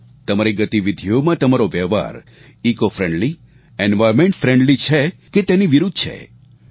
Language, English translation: Gujarati, Are your activities ecofriendly, environment friendly or otherwise